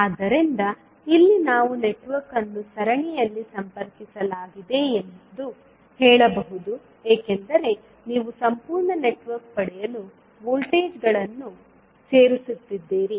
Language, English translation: Kannada, So, here we can say that the network is connected in series because you are adding up the voltages to get the complete network